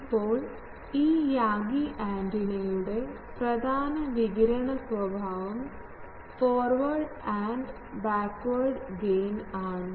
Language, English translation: Malayalam, Now, important radiation characteristic of this Yagi antenna is forward and backward gain